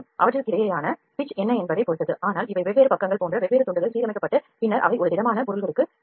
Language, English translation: Tamil, What is the pitch between them it all depends upon that, but these are different slices like different pages are aligned and those are then brought together to a solid object